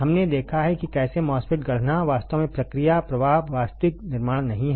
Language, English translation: Hindi, We have seen how to fabricate a MOSFET actually the process flow not actual fabrication